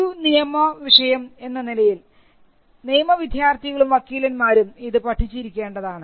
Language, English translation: Malayalam, And being a legal subject, it is something that is taught to lawyers and law students